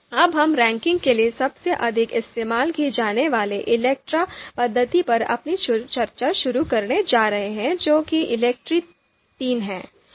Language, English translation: Hindi, Now we are going to start our discussion on one of the you know most used ELECTRE method for ranking that is ELECTRE III